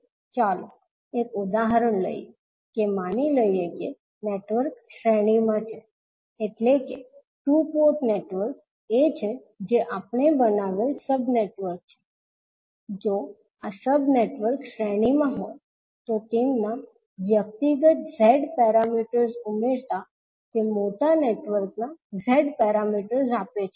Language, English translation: Gujarati, Let us take an example that suppose the network is in series means the two port networks these are whatever the sub networks we have created, if these sub networks are in series then their individual Z parameters add up to give the Z parameters of the large network